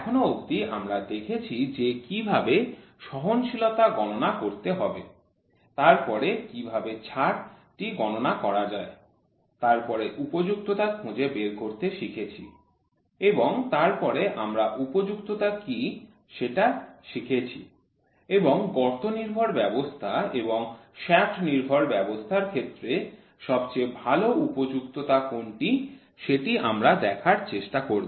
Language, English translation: Bengali, Till now we have seen how to calculate tolerance then how to calculate allowance then to find out what is the fit and then later we will also it what is the fit and we will also try to see what is the best fit available the hole base system and shaft base system these are the topics we have covered